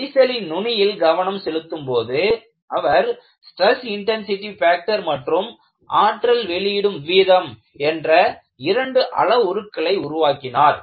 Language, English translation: Tamil, By moving the analysis to the crack tip, he devised workable parameters like stress intensity factor and energy release rate